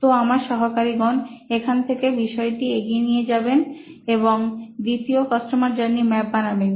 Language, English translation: Bengali, So my colleagues here who will take it up from here to build the second customer journey map, ok over to you guys